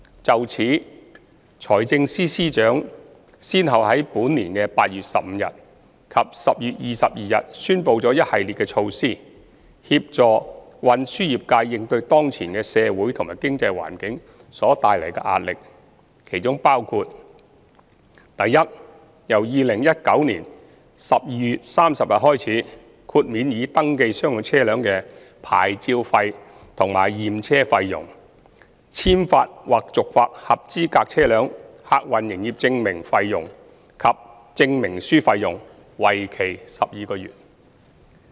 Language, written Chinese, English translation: Cantonese, 就此，財政司司長先後於本年8月15日及10月22日宣布了一系列措施，協助運輸業界應對當前的社會和經濟環境所帶來的壓力，當中包括：第一，由2019年12月30日開始，豁免已登記商用車輛的牌照費和驗車費用、簽發或續發合資格車輛客運營業證費用及證明書費用，為期12個月。, In this regard the Financial Secretary announced a series of measures on 15 August and 22 October this year respectively aiming to help the transport trades to cope with the pressure brought by the social and economic environment . The measures include the following Firstly from 30 December 2019 onwards the vehicle licence fees and examination fees for registered commercial vehicles fees payable for the new issue or renewal of Passenger Service Licence PSL and PSL Certificate for eligible types of vehicles will be waived for 12 months